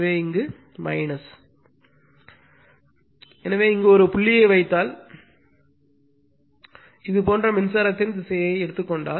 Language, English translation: Tamil, So, we have the, if you put a dot here, if you put a dot here, and if you put a dot here, right if you take the direction of the current like this and these